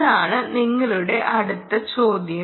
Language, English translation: Malayalam, ah, that is your next question